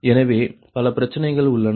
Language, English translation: Tamil, so so many thing are there